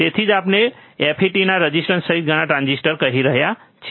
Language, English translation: Gujarati, So, that is why we are saying as many transistors including FET's resistors